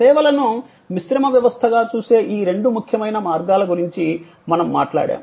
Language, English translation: Telugu, We then talked about these two important ways of looking at services, a composite system